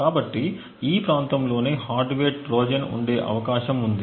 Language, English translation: Telugu, So, it is in this region that a hardware Trojan is likely to be present